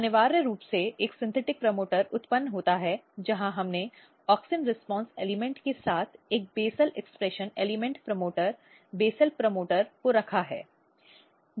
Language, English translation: Hindi, So, essentially a synthetic promoter is generated where we have put a basal expression element promoter, basal promoter along with auxin response elements